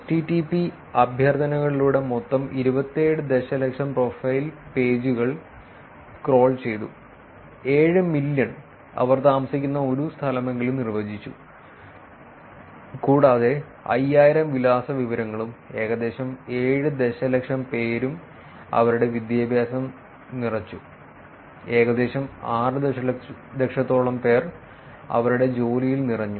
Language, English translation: Malayalam, In total 27 million profile pages through HTTP request were crawled, and 7 million defined at least one place where they lived, and 5000 provided address information and about 7 million filled their education and about close to 6 million filled their employment